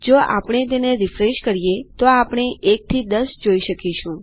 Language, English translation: Gujarati, If we refresh this, we can see theres 1 to 10 now